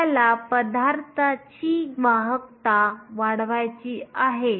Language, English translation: Marathi, We want to increase the conductivity of a material